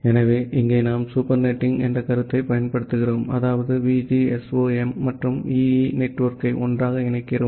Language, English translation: Tamil, So, here we apply the concept of supernetting that means we combine VGSOM and EE network together